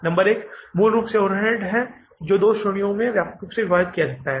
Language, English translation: Hindi, Number one is basically the overheads can be divided into two broad categories